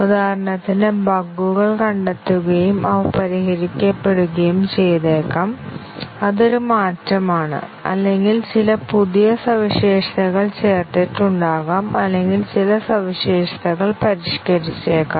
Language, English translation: Malayalam, For example, bugs may get detected and these are fixed; that is a change; or may be, some new feature was added or may be, some feature was modified and so on